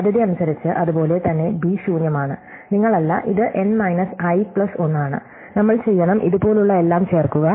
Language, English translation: Malayalam, Likely, likewise b is empty and u is not, it is n minus i plus 1, we have to insert all those like this